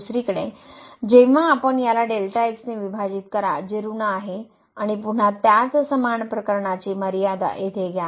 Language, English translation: Marathi, On the other hand when you divide this by which is negative and take the limit again the same similar case here